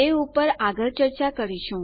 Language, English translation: Gujarati, We can discuss this further there